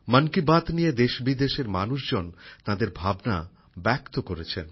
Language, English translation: Bengali, People from India and abroad have expressed their views on 'Mann Ki Baat'